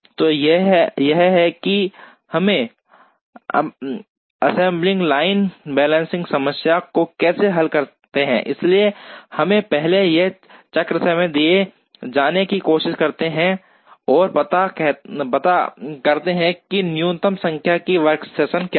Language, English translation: Hindi, So, this is how we solve the assembly line balancing problem, so we first try and find out given a cycle time, what is a minimum number of workstations that are possible